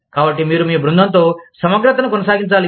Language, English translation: Telugu, So, you must maintain, integrity, with your team